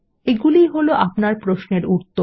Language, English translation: Bengali, These are the results of your query